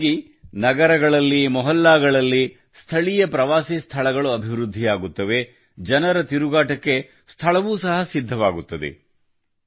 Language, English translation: Kannada, With this, local tourist places will also be developed in cities, localities, people will also get a place to walk around